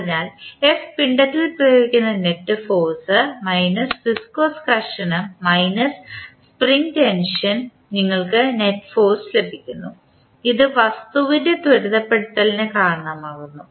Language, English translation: Malayalam, So, f that is the net, that is the force applied on the mass minus the viscous friction minus spring tension you get the net force, which is responsible for acceleration of the object